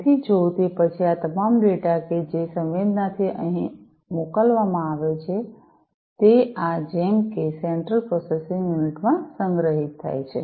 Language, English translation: Gujarati, So, if then that all these data that are sensed and sent are stored in this central processing unit like this